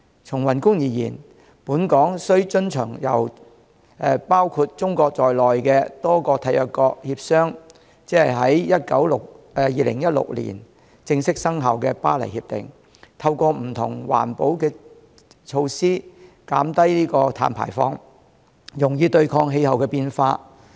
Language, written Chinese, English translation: Cantonese, 從宏觀而言，本港須遵循由包括中國在內的多個締約國協商，在2016年正式生效的《巴黎協定》，透過不同環保措施減低碳排放，用以對抗氣候變化。, From a macro perspective Hong Kong must abide by the Paris Agreement entered into force in 2016 after negotiation by various State Parties including China and adopt various environmental protection measures to reduce carbon emissions and combat climate change